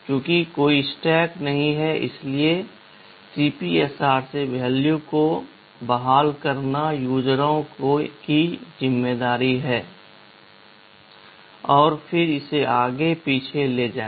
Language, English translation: Hindi, Since there is no stack it is the users’ responsibility to restore the value from the CPSR and then again move it back and forth